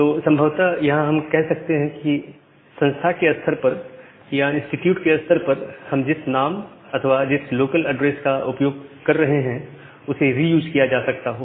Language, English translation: Hindi, So, what we can do possibly that within an organization or within an institute possibly the name that we are using or the addresses the local addresses that we are using that can get reused